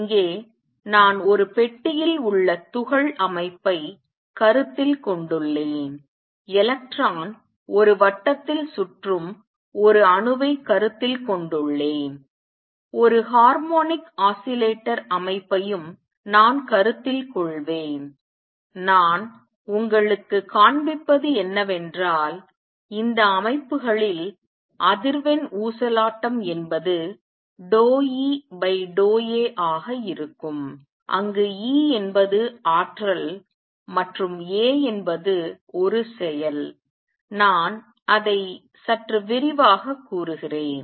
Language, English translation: Tamil, Here I have considered the system of particle in a box, I have considered an atom in which the electron is moving around in a circle, I will also consider a system harmonic oscillator and what I will show you is that in these systems the frequency of oscillation is going to be partial E over partial a where E is the energy and a is the action let me elaborate on that a bit